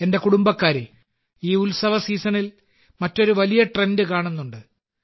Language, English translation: Malayalam, My family members, another big trend has been seen during this festive season